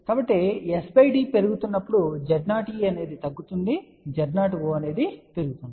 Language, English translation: Telugu, So, we can say now at as s by d increases Z o e decreases and Z o o increases